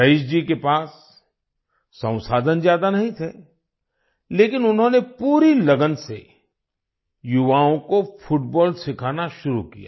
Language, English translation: Hindi, Raees ji did not have many resources, but he started teaching football to the youth with full dedication